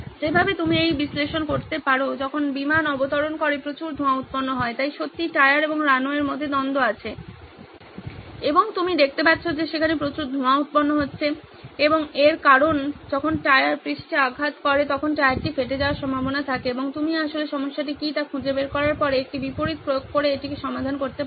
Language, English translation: Bengali, The same way you can do the analysis of this aircraft landing a lot of smoke so the conflict really is between the tyre and the runway and there is lot of puff of smoke that you can see and that is because there is a tyre ware at the moment the tyre actually hits the surface and you can actually solve this by applying a reverse once you have figured out what the problem is